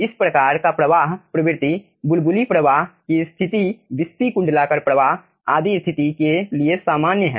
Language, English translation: Hindi, this type of flow regime is very common for bubbly flow situation, wispy, annular flow situation and so on